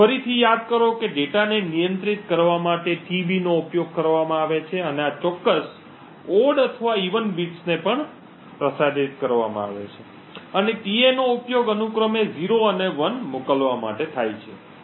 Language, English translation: Gujarati, Recollect that tB are used in order to control the data and specific odd or even bits being transmitted and tA are used to send 0s and 1s respectively